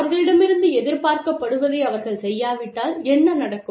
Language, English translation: Tamil, And, what will happen, if they do not do, what is expected of them, you know